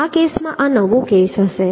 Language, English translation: Gujarati, in this case, this case will be the new one